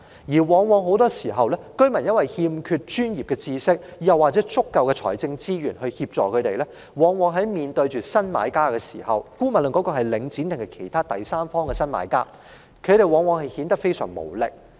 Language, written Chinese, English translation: Cantonese, 由於居民欠缺專業知識，沒有足夠財政資源協助，在面對新買家時——不論是領展還是其他第三方新買家——他們往往顯得非常無力。, Since residents lack professional knowledge and adequate financial assistance they will always be left in an extremely helpless situation in facing new buyers be it Link REIT or other new buyers as the third party